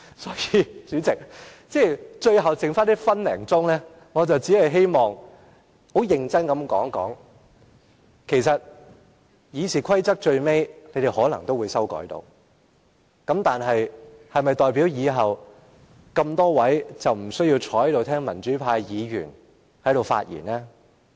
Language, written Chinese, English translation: Cantonese, 因此，在最後剩下1分多鐘的時間，我只希望很認真地說一說，其實，建制派最終可能修訂《議事規則》，但是否代表他們以後不用坐在這裏聽民主派議員發言？, Hence in the remaining one minute or so I just wish to make the following remark seriously the pro - establishment camp may eventually amend RoP but does it mean they will no longer have to sit here listening to the speeches made by democratic Members?